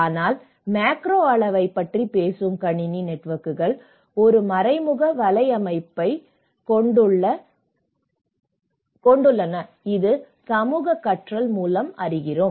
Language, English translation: Tamil, But the system networks which talks about the macro level which has an indirect network which is through the social learning